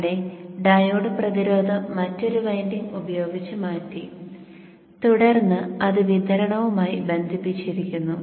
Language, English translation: Malayalam, The resistance has been replaced by another winding and then it is connected to the supply